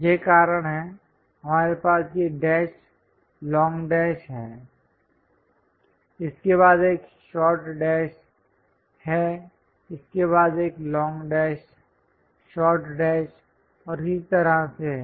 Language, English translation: Hindi, That is the reason, we have these dash, long dash, followed by short dash, followed by long dash, short dash and so on